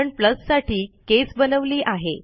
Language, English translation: Marathi, So I have created a case for plus